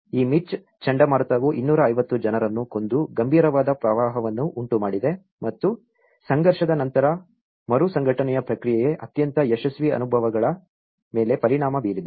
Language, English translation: Kannada, This hurricane Mitch has produced the serious floods killing 250 people and affecting the most successful experiences of the post conflict reintegration process